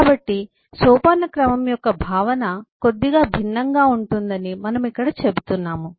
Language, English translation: Telugu, so we are saying here that comp, eh, notion of hierarchy is little bit different